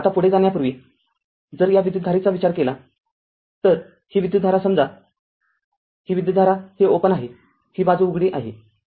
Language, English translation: Marathi, Now before moving further if you look into that this current, this current right this suppose this current this is open this side is open